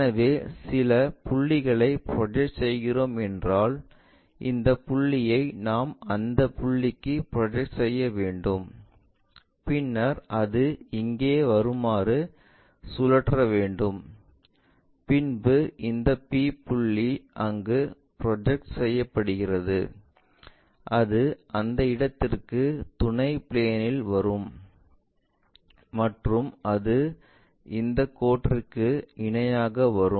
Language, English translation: Tamil, So, if we are projecting some point this one we have to project to that point and we are rotating it in that direction it comes all the way there and this p point projected to there that comes to that point onto the auxiliary plane and from there it goes parallel to that line